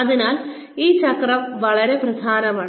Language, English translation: Malayalam, So, this cycle is very important